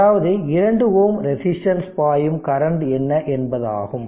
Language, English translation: Tamil, That means what is the current through 2 ohm resistance